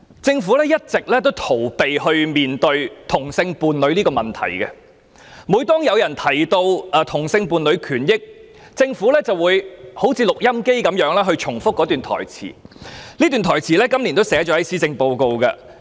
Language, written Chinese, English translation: Cantonese, 政府一直逃避面對同性伴侶問題，每當有人提到同性伴侶權益時，政府便有如錄音機般重複一段台詞，而這段台詞亦有記入今年的施政報告中。, The Government has always been avoiding facing up to the issue of homosexual couples and whenever the issue of the rights and interests of homosexual couples is raised the Government will act like an audio recorder and repeat a model answer it has prepared on the issue